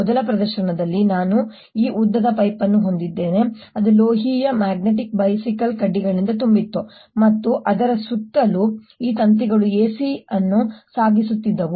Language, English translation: Kannada, in the first demonstrations i had this long pipe which was filed with metallic magnetic bicycle spokes and all around it were these wires carrying a c and this was connected to the mains